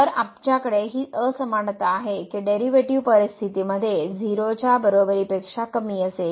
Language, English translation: Marathi, So, we have here this inequality that the derivative will be less than equal to in the situation